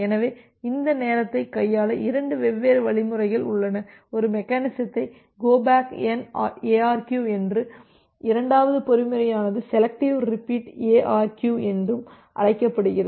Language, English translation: Tamil, So, there are two different mechanism to handling this timeout, one mechanism is called as go back N ARQ and the second mechanism is called a selective repeat ARQ